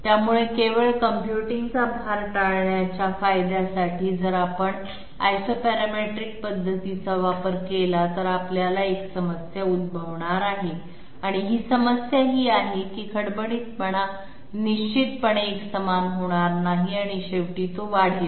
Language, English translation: Marathi, So just for the sake of avoiding computational load, if we go for Isoparametric method here we are going to have a problem, and the problem is this that the roughness will definitely not be uniform and it will shoot up at this end